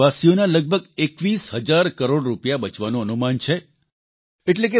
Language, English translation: Gujarati, It is estimated that this will save approximately 21 thousand crore Rupees of our countrymen